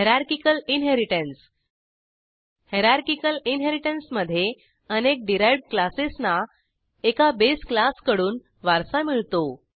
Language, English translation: Marathi, Hierarchical Inheritance In Hierarchical Inheritance multiple derived classes inherits from one base class